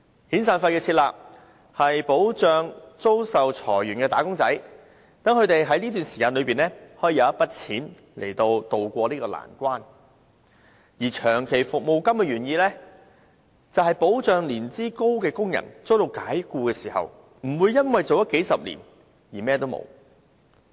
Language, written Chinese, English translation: Cantonese, 遣散費的設立，是保障被裁員的"打工仔"，讓他們可以有一筆錢渡過難關，而長期服務金的原意，是保障年資高的工人遭解僱時，不會為同一僱主服務數十年後甚麼都沒有。, The introduction of the severance payment is intended to protect wage earners who are laid off so that they can have a sum of money to tide over difficult times whereas the original intent of the long service payment is to provide protection to dismissed workers who have performed great lengths of service so that they will not be empty - handed after working for the same employer for several decades